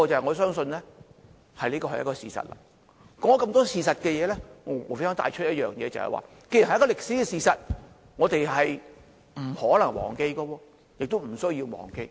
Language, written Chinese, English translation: Cantonese, 我說出了眾多事實，無非想帶出一點，就是這既然是一個歷史事實，我們不可能忘記亦不需要忘記。, I have stated these many facts only to make the point that given that it is a historical fact we cannot forget it and need not forget it